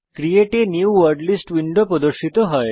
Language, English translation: Bengali, The Create a New Wordlist window appears